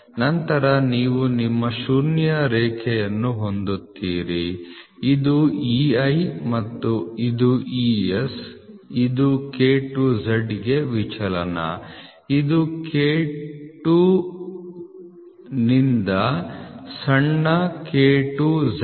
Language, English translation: Kannada, Then you will have your zero line this is your EI and this is your ES this is for deviations for K to Z, this is K to the small k to z this is for a shaft